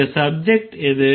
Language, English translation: Tamil, What is the subject